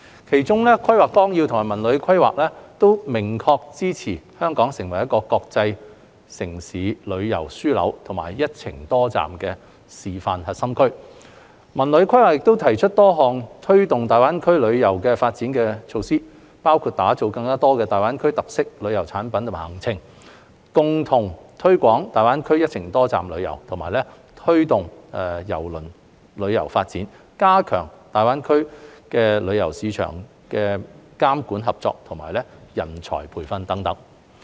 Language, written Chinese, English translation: Cantonese, 其中，《規劃綱要》及《文旅規劃》均明確支持香港成為國際城市旅遊樞紐及"一程多站"示範核心區，《文旅規劃》亦提出多項推動大灣區旅遊發展的措施，包括打造更多大灣區特色旅遊產品及行程、共同推廣大灣區"一程多站"旅遊、推動郵輪旅遊發展、加強大灣區旅遊市場監管合作及人才培訓等。, Among them ODP and the CTD Plan both expressly support Hong Kong in developing into an international tourism hub and a core demonstration zone for multi - destination tourism whereas the CTD Plan suggests various measures for promoting the GBA tourism development including developing GBA - themed tourism products and itineraries jointly promoting the GBA multi - destination tourism driving the development of cruise tourism enhancing the regulatory cooperation of the GBA tourism market and nurturing talents